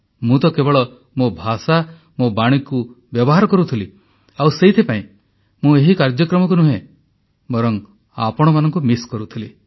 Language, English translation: Odia, I just used my words and my voice and that is why, I was not missing the programme… I was missing you